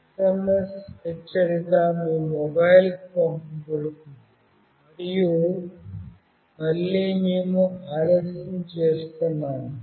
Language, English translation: Telugu, The SMS alert will be sent to your mobile, and again with a delay we are providing